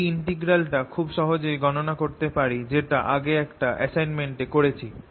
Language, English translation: Bengali, and this integral can be easily calculated as we're done in the assignment in the past